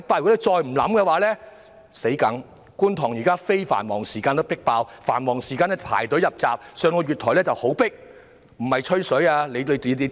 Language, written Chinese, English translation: Cantonese, 現時觀塘站在非繁忙時間已經"迫爆"，繁忙時間更要排隊入閘，而月台更是非常擠迫。, At present the Kwun Tong Station is already fully packed with people during non - peak hours . During peak hours people even have to queue up at the entry gates and the platforms are jam - packed